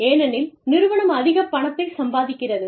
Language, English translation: Tamil, Because, the organization is making a lot of money